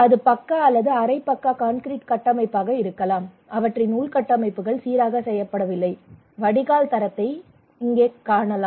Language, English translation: Tamil, And it could be pucca or semi pucca concrete structure, their infrastructures were not grooved, you can see the drainage quality here